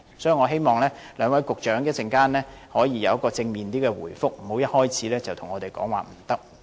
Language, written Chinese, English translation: Cantonese, 所以，我希望兩位局長稍後可以有比較正面的回覆，不要一開始便對我們說"不可以"。, In this connection I hope that the two Directors of Bureau can give a more positive reply instead of saying No to us right at the outset